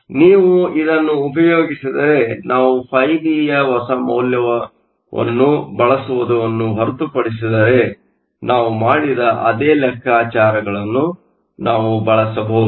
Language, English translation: Kannada, So, If you use this, we can use the same calculations that we just did except that now we have to use the newer value of φB